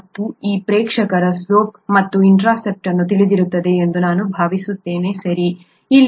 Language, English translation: Kannada, And I think this audience would know the slope and intercept, right